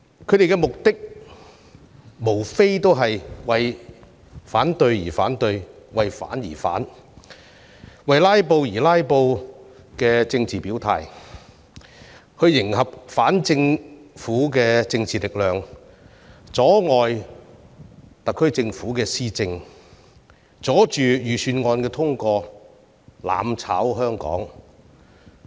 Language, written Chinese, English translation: Cantonese, 他們的目的，無非是為反對而反對，以為反而反、為"拉布"而"拉布"的政治表態來迎合反政府的政治力量，阻礙特區政府施政，阻礙預算案通過，希望"攬炒"香港。, They just oppose for the sake of opposing . They manifest their political position by opposing for the sake of opposing and filibustering for the sake of filibustering thereby currying favour with the anti - government political forces hampering the administration of the SAR Government impeding the passage of the Budget and effecting mutual destruction in Hong Kong